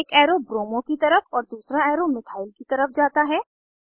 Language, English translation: Hindi, One arrow moves to bromo and other arrow moves towards methyl